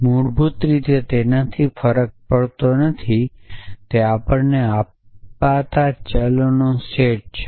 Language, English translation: Gujarati, It does not matter basically it is a set of variable to given to us